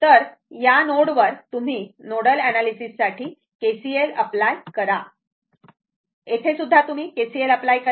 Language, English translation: Marathi, So, at this node, you apply for your nodal analysis KCL here also you apply for KCL